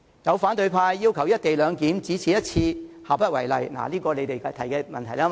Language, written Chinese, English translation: Cantonese, 有反對派議員要求"一地兩檢"只此一次，下不為例，這點是由他們提出的，對嗎？, According to some opposition Members the co - location arrangement should be implemented on a one - off basis and should not be taken as a precedent and this is an argument they hold is it right?